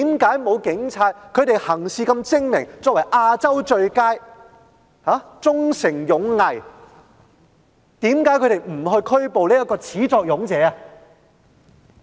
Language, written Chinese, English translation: Cantonese, 他們如此精明，又是"亞洲最佳"，堅守忠誠勇毅，為何沒有拘捕他這名始作俑者呢？, The Police are astute and they are the Asias finest who hold fast to their motto of Honour Duty and Loyalty . Why havent the Police arrested him if he was the mastermind?